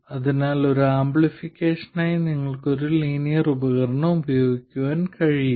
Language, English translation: Malayalam, So, you cannot use a linear device for amplification